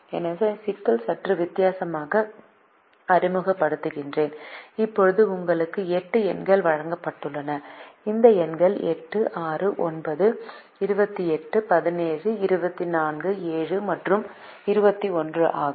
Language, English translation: Tamil, now you are given eight numbers, and these numbers are eight, six, nine, twenty, eight, seventeen, twenty four, seven and twenty one